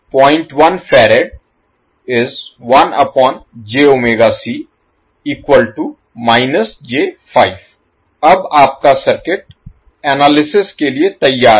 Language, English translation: Hindi, Now your circuit is ready for the analysis